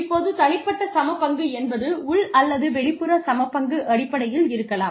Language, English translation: Tamil, Now, individual equity is may be in terms of, internal or external equity